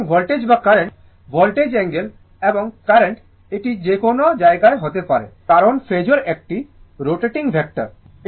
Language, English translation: Bengali, So, voltage or current right, the angle of the voltage and current it can be in anywhere, because phasor is rotating vector